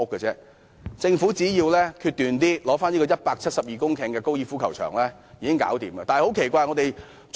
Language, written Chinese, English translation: Cantonese, 政府只需決斷一點，收回172公頃的高爾夫球場便可解決問題。, The Government needs only be a bit more resolute and resumes the 172 - hectare golf course to solve the problem